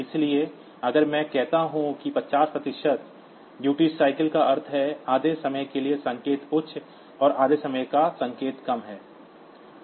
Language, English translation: Hindi, So, if I say 50 percent duty cycle that means, for half of the time, the signal high and half of the time signal is low